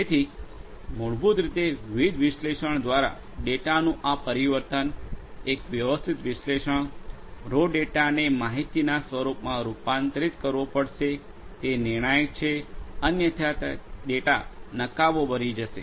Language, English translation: Gujarati, So, basically this transformation of the data through the different analysis, a systematic analysis, transforming the data raw data into information has to be done, it is crucial otherwise it is that the data becomes useless